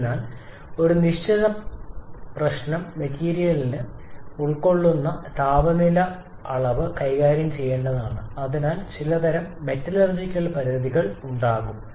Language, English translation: Malayalam, But definite problem is we have to deal with the material has to deal with higher temperature levels and therefore there will be certain kind of metallurgical limits